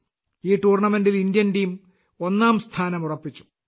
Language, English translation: Malayalam, The Indian team has secured the first position in this tournament